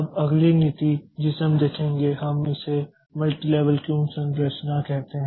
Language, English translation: Hindi, Now, the next policy that we look into so that is the we call it a multi level queue structure